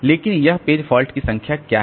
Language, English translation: Hindi, So, what is the number of page fault